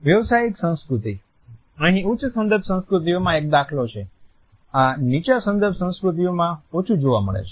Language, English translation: Gujarati, Business culture: Here a case in high context cultures, this is lesser in low context cultures